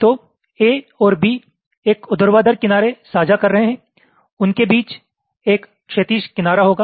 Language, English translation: Hindi, so a and b are sharing a vertical edge